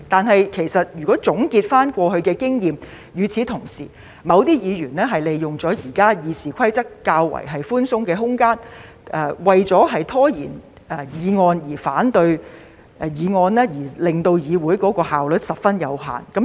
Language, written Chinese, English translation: Cantonese, 可是，總結過去經驗，某些議員是利用了現時《議事規則》較寬鬆的空間，為了拖延議案、反對議案，令議會的效率受到限制。, Nonetheless having taken stock of the experience gained we learnt that certain Members have exploited the rather wide margin of the existing RoP in delaying the processing of motions and opposing the motions so as to constrain the efficiency of the legislature